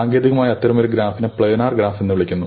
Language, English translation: Malayalam, Technically, such a graph is called a planar graph